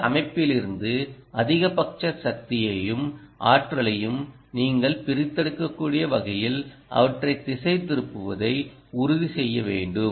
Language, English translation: Tamil, you may have to ensure that you orient them in a manner that you will be able to extract maximum ah power and energy from this system